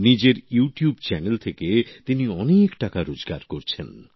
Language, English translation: Bengali, He is earning a lot through his YouTube Channel